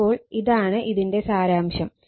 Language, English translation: Malayalam, So, this is the summary